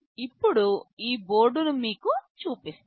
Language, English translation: Telugu, Now, let me show you this board